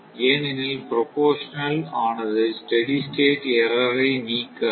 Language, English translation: Tamil, Proportional cannot eliminate the steady state error